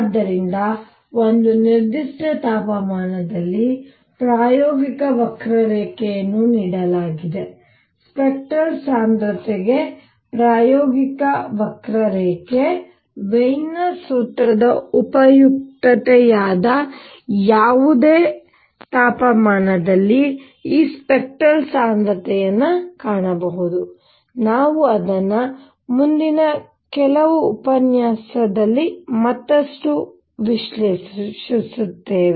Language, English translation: Kannada, So, given experimental curve at one particular temperature, the experimental curve for spectral density, I can find these spectral density at any other temperature that is the utility of Wien’s formula, we will analyze it further vis a vis, we experimental curves in the next few lectures